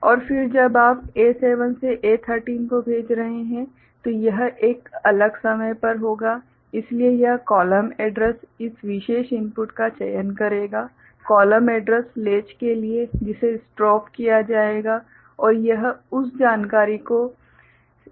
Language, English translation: Hindi, And then when you are sending A7 to A 3, so this one will be at a different point of time of course so, this column address select this particular input to this column address latch that will be strobed and it will store that information